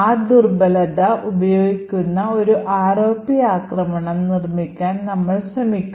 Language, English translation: Malayalam, But what we will see over here is, we will try to build an ROP attack which uses that vulnerability